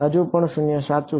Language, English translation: Gujarati, Still 0 right